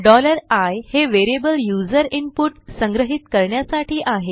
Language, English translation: Marathi, $i is a variable to store user input